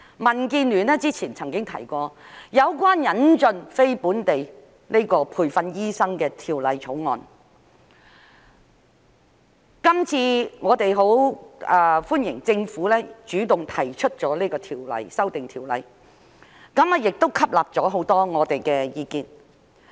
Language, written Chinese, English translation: Cantonese, 民建聯曾經提出有關引進非本地培訓醫生的條例草案，我們十分歡迎政府主動提出這次條例修訂，亦吸納了很多我們的意見。, There is no difference between OTDs and locally trained doctors . DAB once proposed a bill on the admission of NLTDs . We very much welcome the Governments initiative in proposing this legislative amendment and it has incorporated many of our views